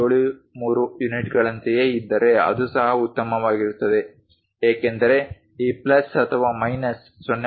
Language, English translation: Kannada, 73 units that is also perfectly fine, because this plus or minus 0